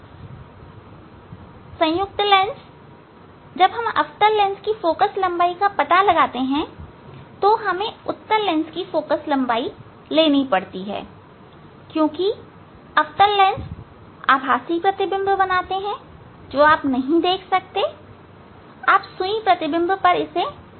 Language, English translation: Hindi, Combination of the lens also as we to find out the focal length of the concave lens we have to take help of the convex lens ok, because concave lens it form the virtual image that you cannot see ok, you cannot put on the on the object ah, image needle